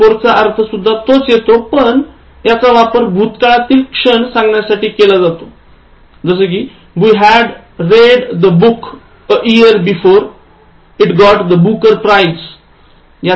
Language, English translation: Marathi, Before also means the same but is used to count time from a point in the past— We had read the book a year before it got the Booker prize